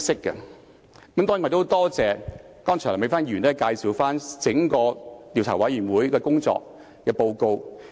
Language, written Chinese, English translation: Cantonese, 我很多謝梁美芬議員剛才介紹調查委員會的整份工作報告。, I am very grateful to Dr Priscilla LEUNG for introducing the entire report of the Investigation Committee